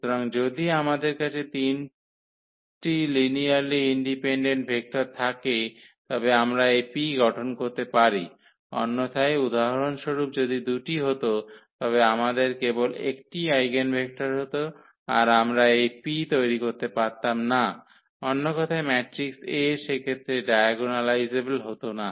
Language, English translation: Bengali, So, if we have 3 linearly independent vectors we can form this P otherwise for example, corresponding to 2 if it happens that we have only 1 eigenvector then we cannot form this P in other words the matrix A is not diagonalizable in that case